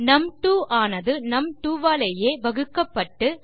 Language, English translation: Tamil, So, lets say this is divided by num2